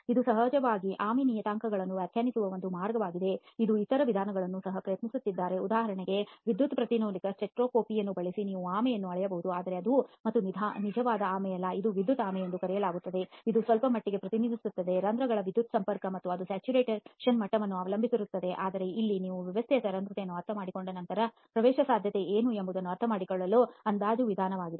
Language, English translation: Kannada, Now of course this is one way of defining the tortuosity parameters, people have also attempted other approaches for example using electrical impedance spectroscopy you can also measure tortuosity but that again is not the real tortuosity it is called the electrical tortuosity it represents some degree of electrical connectivity of the pores and that also depends a lot on the degree of saturation of course but here this is an approximate methodology to understand what permeability is once you understand the porosity of the system